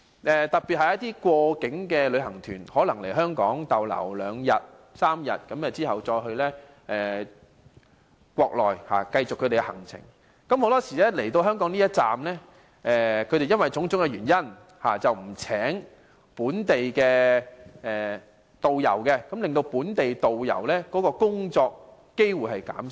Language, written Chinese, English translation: Cantonese, 此外，一些過境旅行團在香港逗留兩三天後再到國內繼續行程，很多時候因為種種原因，來港的一站不聘請本地導遊，令本地導遊的工作機會減少。, Moreover for tours via Hong Kong to the Mainland local guides are very often not employed due to various reasons; hence local tour guides are losing job opportunities